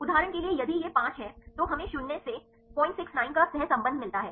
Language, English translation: Hindi, For example if it is 5, right we get the correlation of minus 0